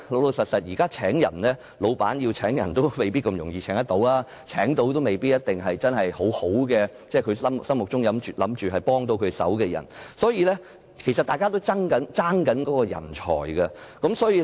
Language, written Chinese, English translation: Cantonese, 老實說，現時僱主要招聘員工，並不容易，即使能成功聘請員工，也未必是僱主心目中能幫上忙的人，所以其實大家都在爭奪人才。, Frankly now staff recruitment is not easy . Even if an employer manages to recruit someone the latter may not be the right - hand man in his mind . Hence people are in fact competing for talents